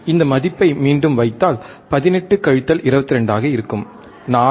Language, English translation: Tamil, If we put this value again, 18 minus 22 would be 4 again it is a mode